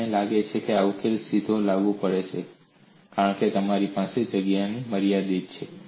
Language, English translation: Gujarati, They think that the solution is directly applicable, because of space constrained, you have this